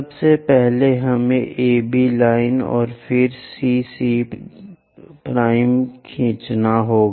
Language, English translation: Hindi, First, we have to draw AB line and then CC dash